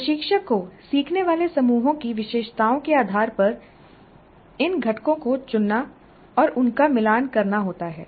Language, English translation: Hindi, Instructor needs to pick and match these components based on the characteristics of the learning groups